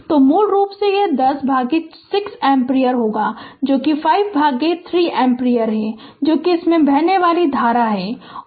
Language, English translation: Hindi, So, basically it will be 10 by 6 ampere that is 5 by 3 ampere that is the current flowing through this right and